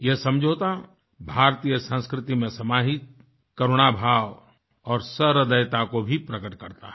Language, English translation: Hindi, This agreement also epitomises the inherent compassion and sensitivity of Indian culture